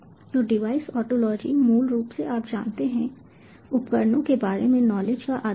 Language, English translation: Hindi, so device ontology basically is, you know, the knowledge base about devices